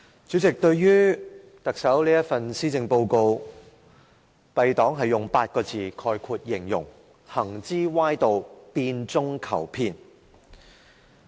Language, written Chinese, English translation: Cantonese, 主席，對於特首這份施政報告，敝黨會用8個字形容："行之歪道，變中求騙"。, President our party will use eight words to describe the Policy Address of the Chief Executive The evil path of disguising deception as changes